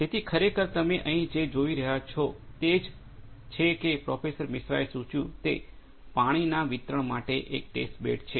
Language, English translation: Gujarati, So, actually what you are seeing here is as Professor Misra suggested it is a test bed for water distribution